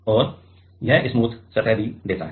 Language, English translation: Hindi, And also it gives smooth surface